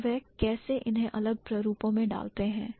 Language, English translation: Hindi, And how do they put it in different types